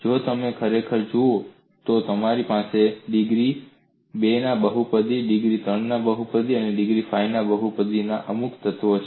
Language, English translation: Gujarati, If you really look at, you have certain elements of polynomial of degree 2, polynomial of degree 3, and polynomial of degree 5